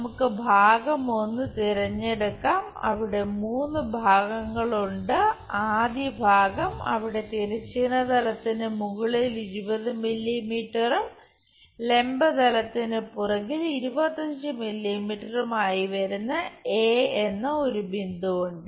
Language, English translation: Malayalam, Let us pick the part 1, there are three parts the first part is there is a point A 20 mm above horizontal plane and 25 mm behind vertical plane